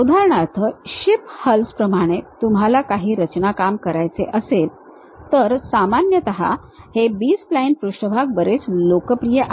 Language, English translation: Marathi, For example, like ship hulls you want to construct and so on, usually these B spline surfaces are quite popular